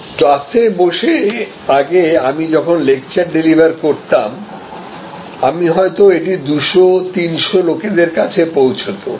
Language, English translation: Bengali, Now, delivered to earlier in a class I might have been able to deliver it to maybe 200, 300 participants